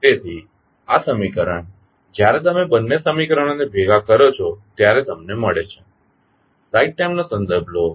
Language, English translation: Gujarati, So, this is equation which you get when you combine both of the equations